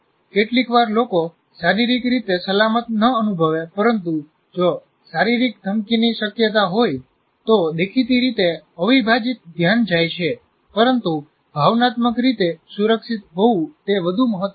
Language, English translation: Gujarati, If sometimes people may physically may not feel safe, but if there is a physical, likely to be a physical threat, obviously the entire attention goes, but emotionally secure